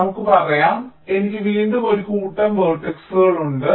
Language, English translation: Malayalam, lets say i have again a set of vertices, its